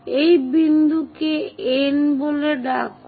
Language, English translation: Bengali, So, call this point as N